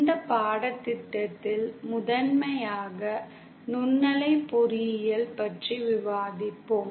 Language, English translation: Tamil, So in this course, we will be discussing primarily microwave engineering